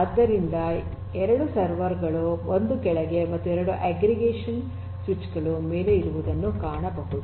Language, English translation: Kannada, So, 2 servers, 1 below and 2 aggregation switches above